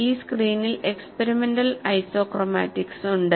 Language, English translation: Malayalam, You observe the fringes; this screen has the experimental isochromatics